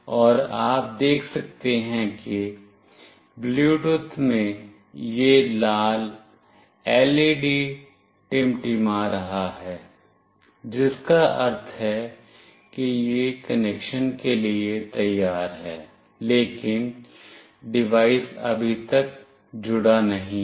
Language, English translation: Hindi, And you can see that in the Bluetooth this red LED is blinking, meaning that it is ready for connection, but the device has not connected yet